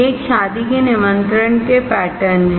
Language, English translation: Hindi, These are the patterns of a wedding invitation